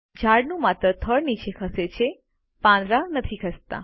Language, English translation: Gujarati, Only the tree trunk moves down the leaves dont